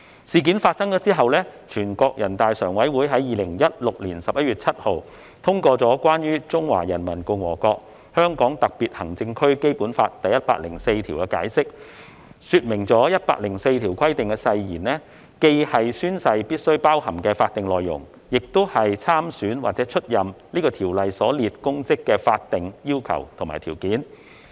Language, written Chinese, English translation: Cantonese, 事件發生後，全國人民代表大會常務委員會在2016年11月7日通過《關於〈中華人民共和國香港特別行政區基本法〉第一百零四條的解釋》，說明第一百零四條規定的誓言既是宣誓必須包含的法定內容，亦是參選或出任此條所列公職的法定要求和條件。, After the aforesaid incident the Standing Committee of the National Peoples Congress NPCSC adopted the Interpretation of Article 104 of the Basic Law of the Hong Kong Special Administrative Region of the Peoples Republic of China on 7 November 2016 to stipulate that the wording of Article 104 of the Basic Law is not only the legal content which must be included in the oath prescribed by the Article but also the legal requirements and preconditions for standing for election in respect of or taking up the public office specified in the Article